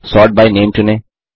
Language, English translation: Hindi, Select Sort By Name